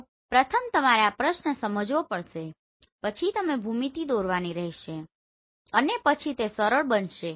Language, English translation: Gujarati, So first you have to understand this question then you draw the geometry and then it will be very easy